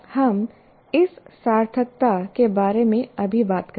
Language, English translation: Hindi, We'll talk about this meaningfulness presently